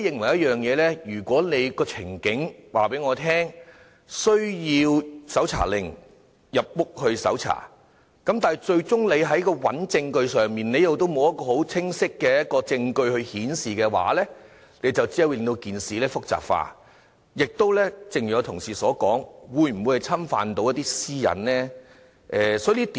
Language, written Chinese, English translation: Cantonese, 我認為，如果有關個案有需要以搜查令進入住宅搜查，但最終沒有清晰證據顯示有違法活動的話，只會令到事情複雜化，亦正如同事所說，可能會侵犯私隱。, My opinion is that if a search warrant is required to enter a domestic premises to search for any suspected illegal activities but the search fails to find any clear evidence in the end this will only complicate the matter; and as some Member has said this may infringe on personal privacy